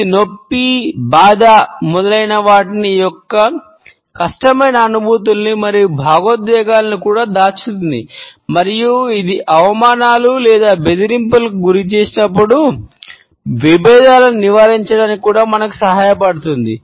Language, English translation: Telugu, It may also cover the difficult feelings and emotions of pain, distress, etcetera and also it helps us to avoid conflicts, when we have been insulted or threatened or otherwise provoked